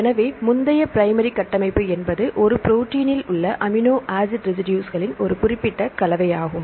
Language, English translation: Tamil, So, I discussed earlier primary structure; is a specific combination of amino acid residues in a protein